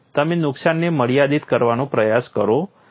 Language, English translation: Gujarati, You try to restrict the damage